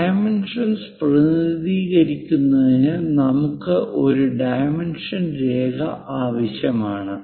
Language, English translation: Malayalam, To represent dimension, we require a dimension line